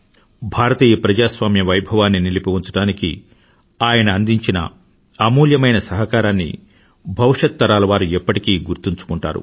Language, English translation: Telugu, Theupcoming generations of our nation will always remember his priceless contribution in maintaining the sanctity of Indian democracy